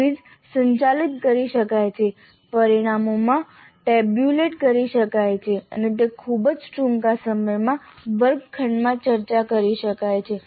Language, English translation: Gujarati, The quiz can be administered, the results can be obtained tabulated and they can be discussed in the classroom in a very short time